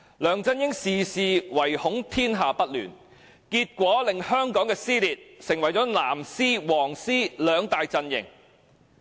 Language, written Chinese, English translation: Cantonese, 梁振英事事唯恐天下不亂，結果令香港撕裂成為"藍絲"、"黃絲"兩大陣營。, LEUNG Chun - yings desire to see the world in disorder has caused the split of Hong Kong into the two camps of blue ribbons and yellow ribbons